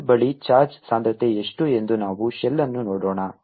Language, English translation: Kannada, what is the charge density near the shell